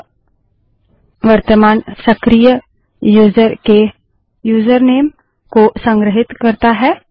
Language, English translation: Hindi, It stores the username of the currently active user